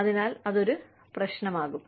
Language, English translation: Malayalam, So, that could be a problem